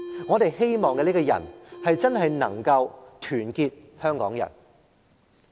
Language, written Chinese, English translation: Cantonese, 我們希望這個人真正能夠團結香港人。, We hope that the person can really unite all Hong Kong people